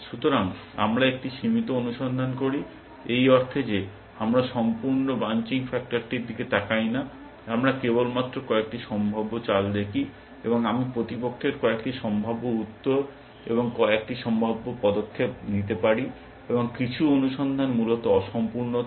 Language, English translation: Bengali, So, we do a limited search, in the sense that we do not look at the complete branching factor, we only look at the few possible moves, and a few possible replies by the opponent, and a few possible moves that I can make the, and in some sense of a search is incomplete essentially